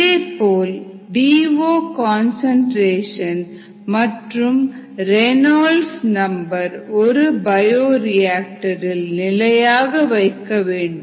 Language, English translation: Tamil, and also one looks for constant dissolved oxygen concentration and constant reynolds number, ah in the bioreactor